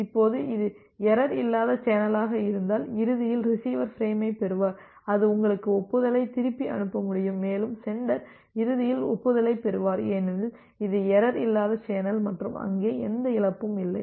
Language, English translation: Tamil, Now, if it is a error free channel it is always guaranteed that eventually the receiver will receive the frame and it will be able to send you back the acknowledgement and the sender will eventually receive the acknowledgement, because it is an error free channel and there is no loss